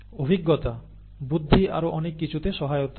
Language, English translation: Bengali, Experience helps intelligence and so on